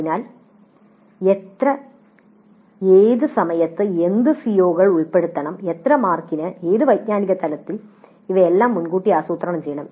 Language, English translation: Malayalam, So, how many, at what times, what are the COs to be covered, for how many marks, at what cognitive levels, all this must be planned upfront